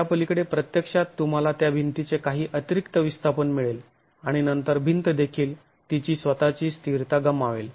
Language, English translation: Marathi, Beyond that it is actually some additional displacement of the wall that you will get and the wall would then lose its stability itself